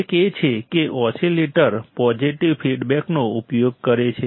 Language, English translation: Gujarati, One is that the oscillator uses positive feedback